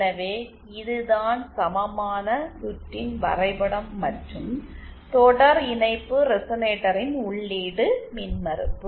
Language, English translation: Tamil, So, this is the equivalent circuit diagram and the input impedance of a series resonator